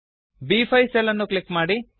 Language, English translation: Kannada, Click on the cell B5